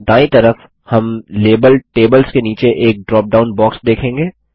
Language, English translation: Hindi, On the right side, we will see a drop down box underneath the label Tables